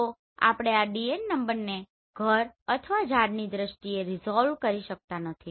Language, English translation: Gujarati, So we cannot resolve this DN number in terms of house or tree right